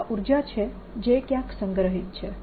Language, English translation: Gujarati, this is the energy which is stored somewhere